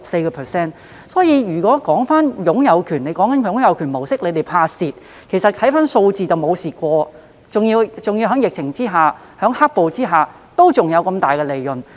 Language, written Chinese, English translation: Cantonese, 政府說害怕港鐵公司會在"擁有權"模式下出現虧蝕，但從數字所見是從來沒有虧蝕，而且在疫情及"黑暴"下還有很大的利潤。, The Government said it feared that MTRCL might suffer losses under the ownership approach but judging from the figures it has never suffered any losses at all . Rather huge profits have been made amid the epidemic and black - clad violence